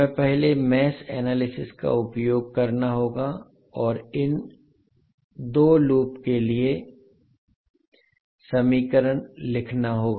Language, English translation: Hindi, We have to first use the mesh analysis and write the equation for these 2 loops